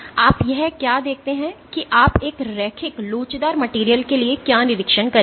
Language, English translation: Hindi, So, what you see this is what you would observe for a linear elastic material